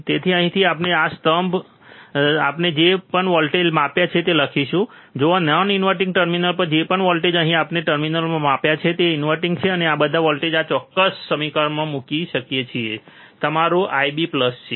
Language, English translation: Gujarati, So, from here we can write whatever the voltage we measured in this column, at non inverting terminal whatever voltage we have measured here in the in terminal which is inverting, then we can put this voltage in this particular equation which is your I B plus